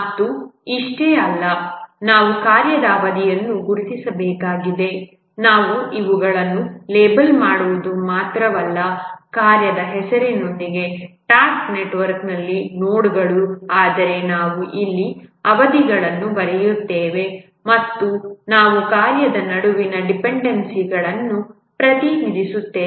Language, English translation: Kannada, We not only label these nodes on the task network with the name of the task, but also we write the durations here as you can see and we represent the dependencies among the task